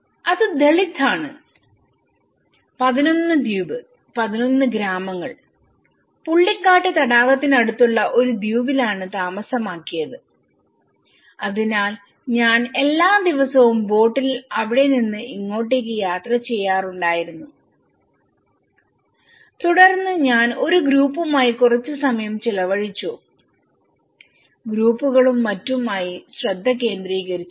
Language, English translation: Malayalam, And it was Dalit 11 island 11 villages were settled in an island near the pullicat lake so I used to travel every day by boat from here to here and then I used to spend some time in a group, focus groups and things like that here, even though they were offered as a relocation option but they didnÃt opted for that